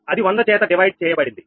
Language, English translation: Telugu, so it is divided by hundred